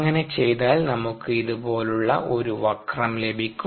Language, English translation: Malayalam, if we do that, then we get a curve like this